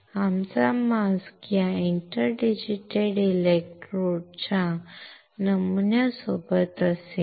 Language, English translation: Marathi, So, our mask would have this inter digitated electrode pattern on it